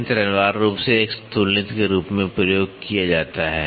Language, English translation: Hindi, The machine is essentially used as a comparator